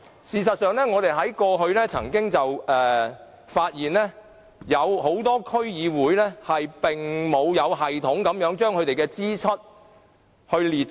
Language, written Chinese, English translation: Cantonese, 事實上，我們過去曾發現很多區議會並無有系統地將支出列出。, In fact we have found that many DCs did not set out their expenditures in a systematic manner